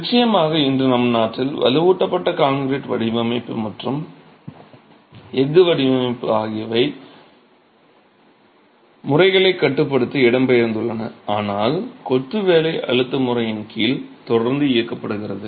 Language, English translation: Tamil, Of course, today in our country, reinforced concrete design and steel design have migrated to limit state methods, but masonry continues to be operated under the working stress method